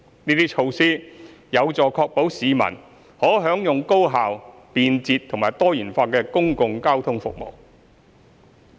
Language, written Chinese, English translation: Cantonese, 這些措施有助確保市民可享用高效、便捷和多元化的公共交通服務。, These measures help to ensure that the public can enjoy highly efficient convenient and diversified public transport services